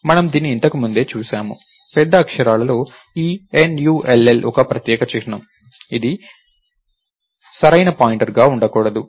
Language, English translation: Telugu, We have seen this before, this N U L L in capital letters is a special symbol, it this cannot be any valid pointer right